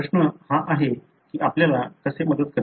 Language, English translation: Marathi, The question is by doing this, how does it help you